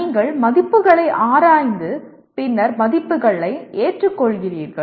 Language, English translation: Tamil, You examine the values and then accept the values